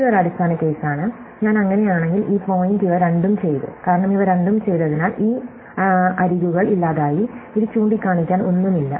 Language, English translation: Malayalam, So, it is a base case, so I fill that in, so this point I have done both of these, since I have done both of these, these edges are gone, so there is nothing pointing into 2